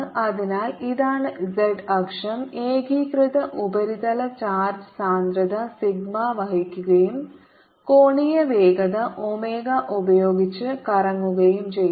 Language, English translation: Malayalam, therefore, this is the z axis, carries the uniform surface charge, density, sigma and is rotating with angular speed, omega